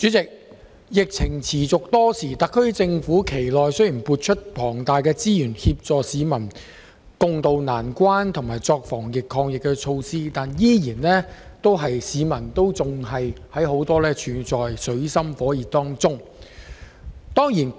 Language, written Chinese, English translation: Cantonese, 主席，疫情持續多時，特區政府其間雖已撥出大量資源協助市民共渡難關和採取防疫抗疫措施，但仍有很多市民處於水深火熱之中。, President as the epidemic persists many people are now in dire straits despite the SAR Governments generous allocation of resources to help people tide over the difficulties and introduce anti - epidemic measures